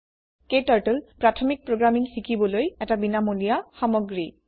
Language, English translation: Assamese, KTurtle is a free tool to learn basic programming